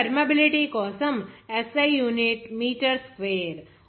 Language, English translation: Telugu, Now, the SI unit for the permeability is meter square